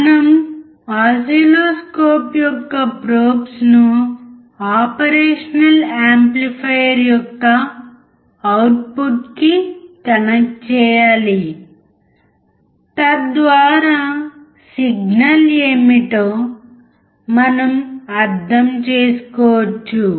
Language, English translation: Telugu, We have to connect the probes of oscilloscope to the output of the operation amplifier, so that we can understand what the signal is